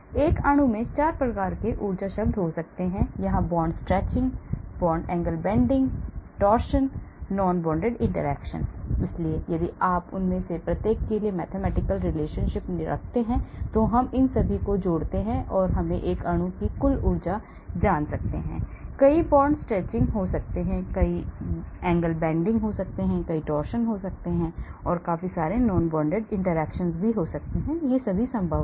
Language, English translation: Hindi, So a molecule can have 4 types of energy terms, the bond stretching, here the bond angle bending here, the torsion, the non bonded interaction, so if you have terms mathematical relationship for each one of them and we add up all these that should give us the total energy of a molecule, there could be many bond stretching, there could be many angle bending, there could be many torsion, there could be many non bonded interactions that are possible